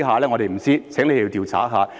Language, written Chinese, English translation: Cantonese, 我們不知道，請調查一下。, We have no idea . Please do an investigation